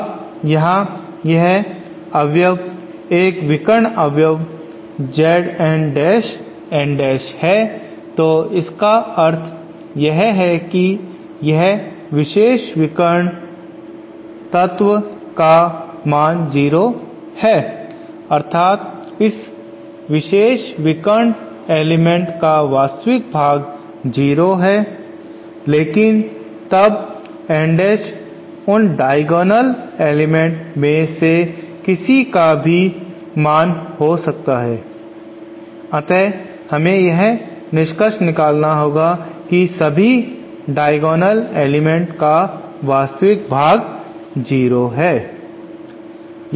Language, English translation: Hindi, Now here this element is a diagonal element Z N dash N dash so what it means is that this particular diagonal element is 0, that is the real part of this particular diagonal element is 0 but then since N dash can be any value any one of those diagonal elements, we have to conclude that all diagonal elements have their real parts as 0